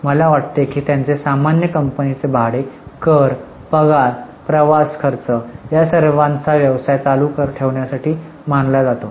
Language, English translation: Marathi, I think they are common for any company, rent, taxes, salaries, travelling expenses, all of them are considered as for running of business